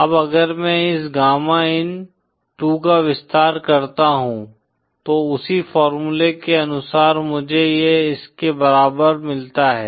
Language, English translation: Hindi, Now if I expand this gamma in2 further according to same formula I get this equal to